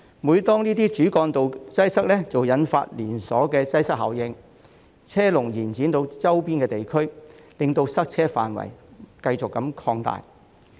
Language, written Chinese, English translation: Cantonese, 每當這些主幹道擠塞，即會引發連鎖擠塞效應，車龍延伸至周邊地區，令塞車範圍繼續擴大。, Whenever these arterial roads are congested a chain congestion effect will result and the queues of traffic will extend to the surrounding areas causing the congestion to expand continuously